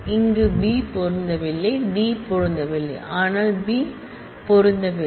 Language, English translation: Tamil, Here, the B does not match D does not does match, but the B does not match